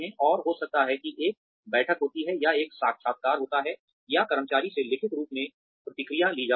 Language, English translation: Hindi, And, maybe a meeting takes place, or an interview takes place, or feedback is taken in writing, from employees